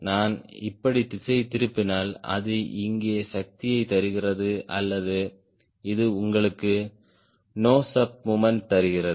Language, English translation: Tamil, if i deflect like this, it gives the force here or which gives you nose of moment